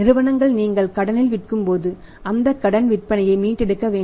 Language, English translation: Tamil, Because when you are selling on credit when you are selling on the credit you have to recover that credit sales also